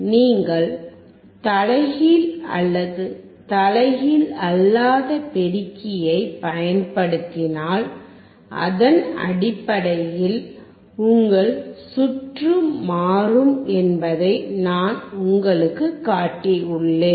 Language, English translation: Tamil, I have shown you that if you use inverting or non inverting amplifier, based on that your circuit would change